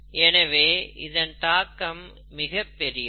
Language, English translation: Tamil, So, the implications are big